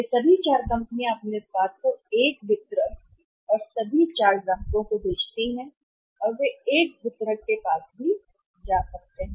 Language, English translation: Hindi, All the 4 companies they sell their product to 1 distributor and all the 4 customers they can also go to the one distributor